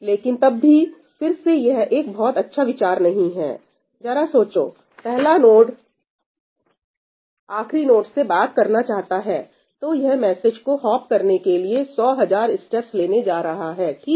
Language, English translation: Hindi, But then, it is not a great idea, again, because, just imagine the first node wanting to talk to the last node it is going to take hundred thousand steps for that message to hop away